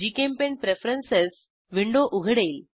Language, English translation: Marathi, GChemPaint Preferences window opens